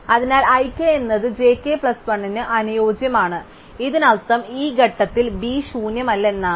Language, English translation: Malayalam, Therefore, i k is compatible with j k plus 1, this means at this stage B is not empty